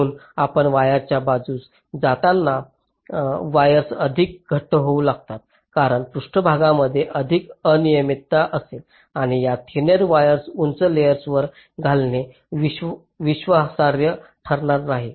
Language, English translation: Marathi, so as we go up, move up, the wires tend to become thicker because there will be more irregularity in the surfaces and laying out those thin wires on the higher layers will be not that reliable